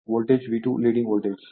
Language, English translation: Telugu, The voltage I 2 is leading voltage V 2